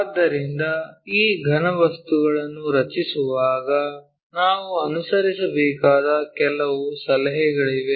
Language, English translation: Kannada, So, when we are drawing these solids, there are few tips which we have to follow